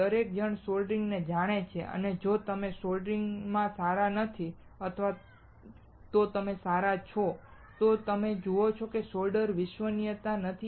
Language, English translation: Gujarati, Everyone knows soldering and if you are not good in soldering or even if you are good, you see that the solder is not reliable